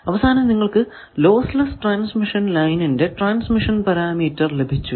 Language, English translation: Malayalam, Now, first let us find the transmission parameter of a lossless transmission line